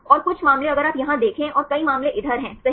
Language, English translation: Hindi, And some cases if you see here and many case to these right